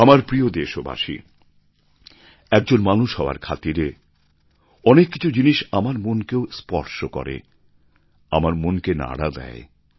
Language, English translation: Bengali, My dear countrymen, being a human being, there are many things that touch me too